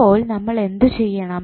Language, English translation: Malayalam, So, what we have to do